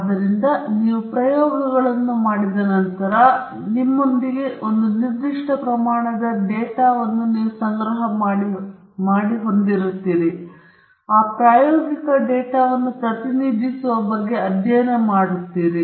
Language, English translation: Kannada, So once you have done the experiments, you have a certain amount of data with you, and you will be studying about representation of the experimental data